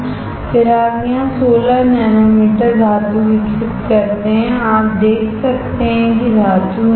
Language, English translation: Hindi, Then you grow 16 nanometer metal here, you can see metal is here